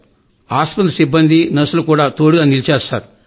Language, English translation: Telugu, The staff nurses took full care of us